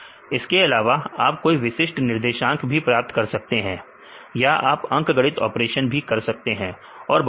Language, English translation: Hindi, Or you can get in the particular coordinates or you can do any arithmetic operations; still many more you can do